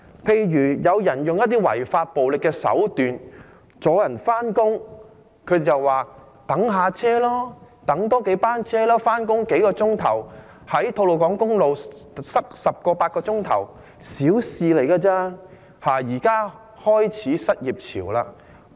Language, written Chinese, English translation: Cantonese, 例如有人使用一些違法的暴力手段，阻礙市民上班，他們便叫大家多等數班車，認為用數小時上班，在吐露港公路塞8至10小時，亦只是小事情而已。, For instance some people used certain illegal violent means to cause obstruction to the public commuting to work but these Members just asked the public to wait for a few more trains or buses . They also think that spending a few hours to go to work or being stuck on the Tolo Highway for 8 to 10 hours is merely a minor issue